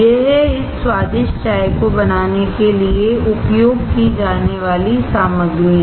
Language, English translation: Hindi, These are the ingredients used to make this delicious tea